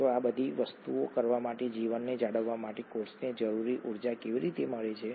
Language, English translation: Gujarati, So how does the cell get the needed energy to do all these things and maintain life